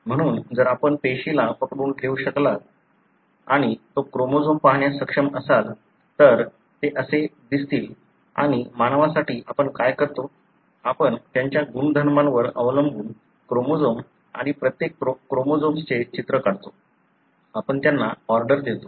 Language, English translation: Marathi, So, if you are able to arrest the cell and you are able to view the chromosome, this is how they would look like and for a human what we do is, we take a picture of the chromosome and each chromosome, depending on their size, we order them